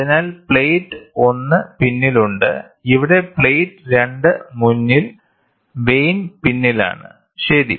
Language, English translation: Malayalam, So, the plate 1 is behind this is behind plate 1 is behind, and here plate 2 is forward and vane is behind, ok